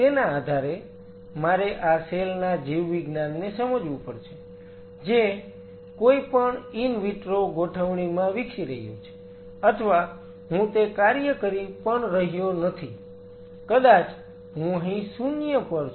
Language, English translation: Gujarati, So, depending on where am I; I have to understand the biology of this cell which is under growing in any in vitro setup or I am not even performing that function I am here 0